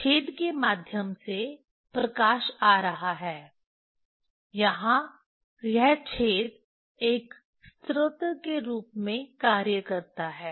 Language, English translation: Hindi, Light is coming through the hole, Vernier this hole acting as a as a source